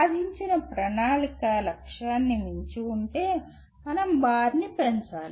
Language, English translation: Telugu, If the achievement exceeds the planned target, we need to raise the bar